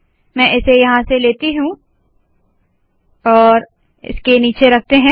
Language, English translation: Hindi, Let me take this here, below this, put it